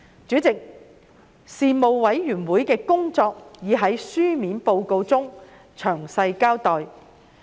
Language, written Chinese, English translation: Cantonese, 主席，事務委員會的工作已在書面報告中詳細交代。, President a detailed account of the work of the Panel can be found in the written report